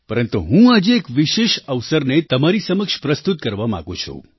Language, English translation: Gujarati, But today, I wish to present before you a special occasion